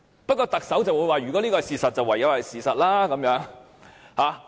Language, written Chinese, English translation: Cantonese, 不過，特首卻說，如果這是事實，便唯有是事實。, However the Chief Executive argues that if it is the fact then it is the fact